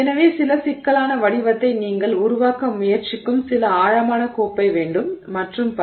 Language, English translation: Tamil, So, some complicated shape you want some, you know, deep cup that you are trying to form and so on